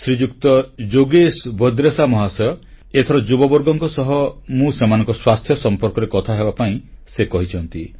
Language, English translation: Odia, Shriman Yogesh Bhadresha Ji has asked me to speak to the youth concerning their health